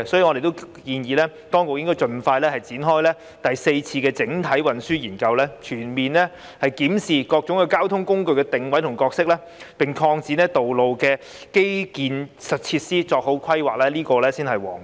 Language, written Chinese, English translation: Cantonese, 我們建議當局應該盡快展開第四次整體運輸研究，全面檢視各種交通工具的定位和角色，並擴展道路的基建設施，作好規劃，這才是皇道。, We propose that the authorities should expeditiously launch the Fourth Comprehensive Transport Study to comprehensively examine the positioning and roles of various modes of transport expand road infrastructure facilities and make proper planning . This is the only right way